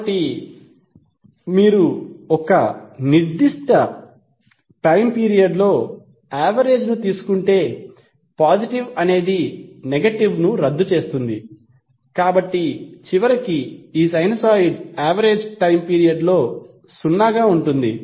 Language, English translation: Telugu, So if you take the average over a particular time period t the possible cancel out negative, so eventually the average of this sinusoid over a time period would remain zero